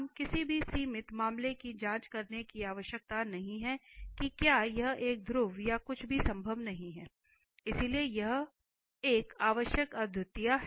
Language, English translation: Hindi, We do not have to check with any the limiting case whether it can be a pole or anything that is not possible, so here it is a essential singularity therefore